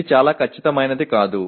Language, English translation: Telugu, This is need not be very precise